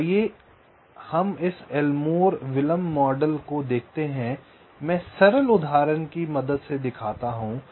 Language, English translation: Hindi, so lets see this elmore delay model